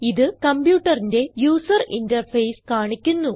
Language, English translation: Malayalam, It displays the computers user interface